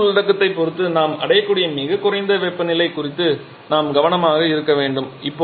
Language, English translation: Tamil, So, we have to be careful about the lowest temperature that we can reach depending upon the fuel content